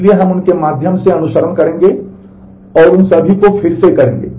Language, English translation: Hindi, So, we will follow through them and redo all of them